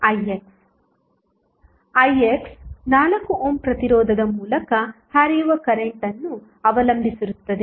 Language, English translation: Kannada, Ix is depending upon the current which is flowing through the 4 ohm resistance